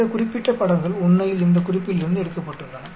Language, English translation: Tamil, This particular pictures are taken from these reference actually